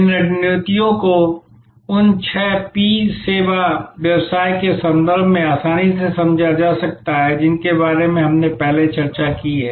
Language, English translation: Hindi, These strategies can be understood quite easily in terms of those six P’s of service business that we have discussed before